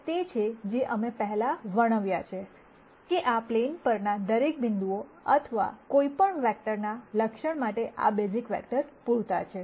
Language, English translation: Gujarati, That is what we described before, that these basis vectors are enough to characterize every point or any vector on this 2 dimensional plane